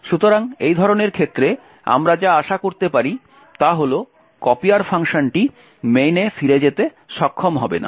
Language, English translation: Bengali, So, in such a case what we can expect is that the copier function will not be able to return back to main